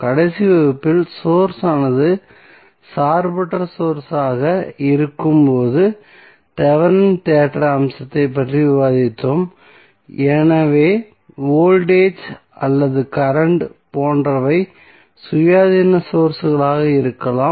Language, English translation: Tamil, So, in the last class we basically discussed the Thevenin theorem aspect when the source is non dependent source, so that can be like voltage or current both were independent sources